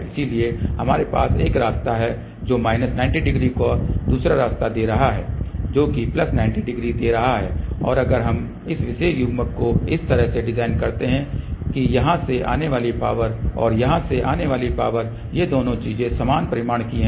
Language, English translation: Hindi, So, we have a one path which is giving minus 90 degree another path which is giving plus 90 degree, and if we design this particular coupler such a way that the power coming from here and power coming from here these two things are of equal magnitude